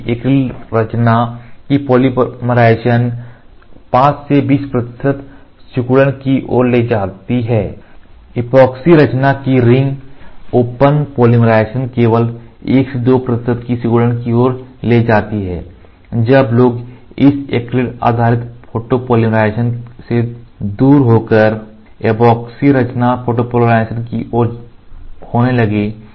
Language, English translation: Hindi, While the polymerization of acrylate composition leads to 5 to 20 percent shrinkage, the ring open polymerization of epoxy composition only lead to the shrinkage of 1 to 2 percent then people started getting away from this acrylate based photopolymerization to epoxy composition photopolymerization